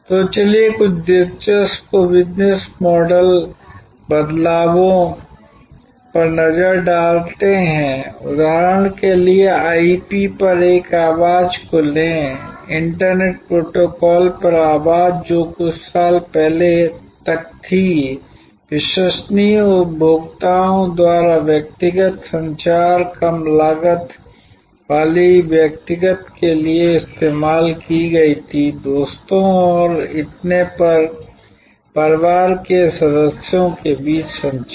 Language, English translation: Hindi, So, let us look at some interesting business model shifts that are happening, take for example this voice over IP, voice over Internet Protocol which was till a little few years back was not that reliable was used by consumers for personal communication, low cost personal communication among family members between friends and so on